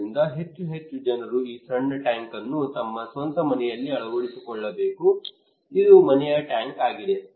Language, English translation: Kannada, So more and more people should install these small tank at their own house, it is a household tank